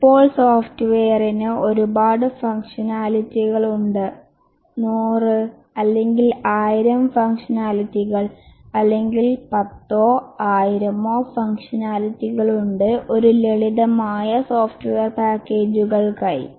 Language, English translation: Malayalam, Now the software has large number of functional, hundreds or thousands of functionalities, or tens of thousands of functionalities for even simple software packages